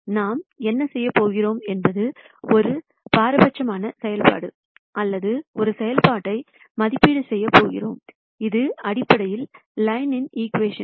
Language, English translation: Tamil, What we are going to do is, we are going to evaluate a discriminant function or a function which is basically the equation of the line